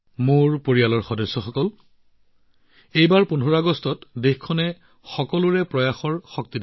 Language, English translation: Assamese, My family members, this time on 15th August, the country saw the power of 'Sabka Prayas'